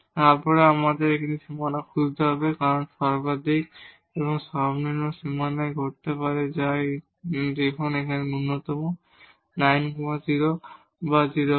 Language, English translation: Bengali, Then we have to also look for the boundaries because maximum and minimum may occur on the boundaries which is the case here like minimum is at 9 0 or 0 9